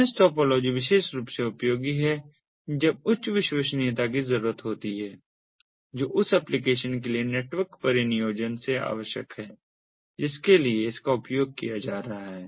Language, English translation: Hindi, mesh topology is particularly useful when there is higher reliability that is required from the network deployment for the application for the which it is being used